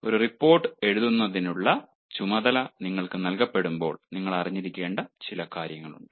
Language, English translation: Malayalam, when you have been assigned the task of writing a report, there are certain things that you should know